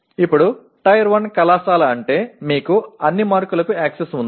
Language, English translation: Telugu, Now Tier 1 college is where you have access to all the marks